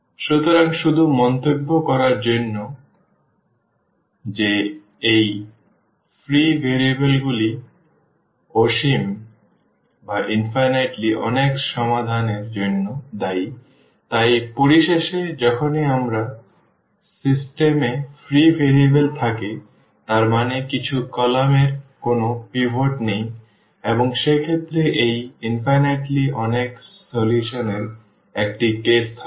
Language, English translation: Bengali, So, just to remark, that these free variables are the responsible for infinitely many solutions, so, in conclusion whenever we have free variables in our system; that means, some columns do not have a pivot and in that case there will be a case of this infinitely many solutions